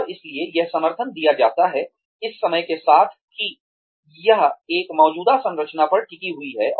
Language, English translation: Hindi, And, so this support is given,with the understanding that, it rests on an existing structure